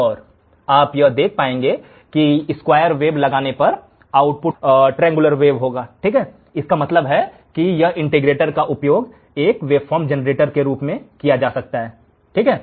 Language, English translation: Hindi, And you will be able to see that on applying the square wave the output will be triangular wave; that means, this integrator can also be used as a waveform generator